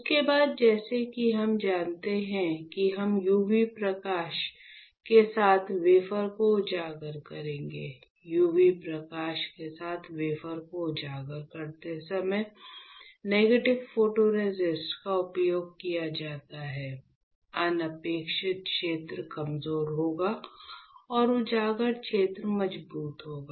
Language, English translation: Hindi, After that as you know we would expose the wafer with UV light; when you expose the wafer with u v light since you are you have used negative photoresist, the unexposed region would be weaker, and the exposed region would be stronger